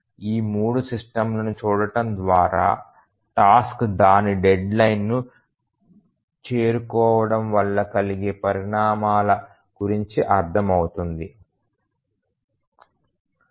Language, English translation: Telugu, Let us look at these three systems then it will become that what do you mean by the consequence of the task not meeting its deadline